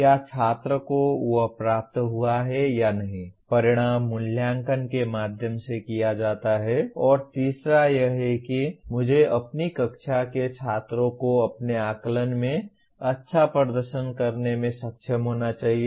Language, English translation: Hindi, Whether student has attained that or not outcomes is done through assessment and the third one is I must facilitate the students in my class to be able to perform well in my assessments